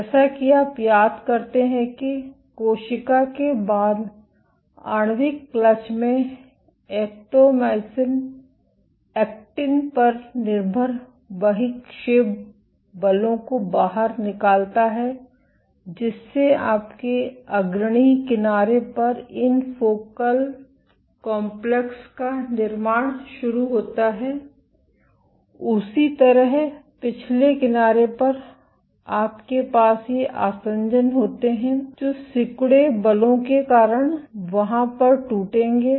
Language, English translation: Hindi, As you recall that in the molecular clutch after the cell exerts the actomyosin actin dependent protrusion forces you begin to have the formation of these focal complexes at the leading edge, similarly at the trailing edge you have these adhesions which will break because of contractile forces at the rear